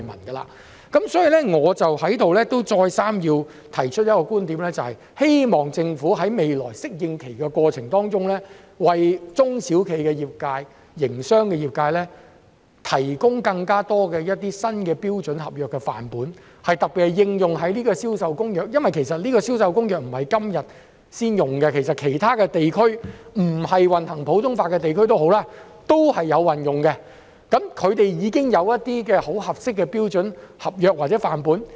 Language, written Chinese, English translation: Cantonese, 因此，我在此再三提出一個觀點，就是希望政府在未來的適應過程中，為中小企及營商的業界提供更多新的標準合約範本，特別是適用於《銷售公約》的範本，因為它不是今天才出現，其他地區、即使並非行普通法的地區都有採用，他們已經有一些很合用的標準合約或範本。, Thus I put forward an idea repeatedly here that is I hope the Government can provide more new standard sample contracts for SMEs and the business sector during the coming adaptation period especially samples applicable to CISG for the convention has been in place for a period of time . Other regions even the non - common law jurisdictions have adopted it and have already had standard sample contracts that are fit for use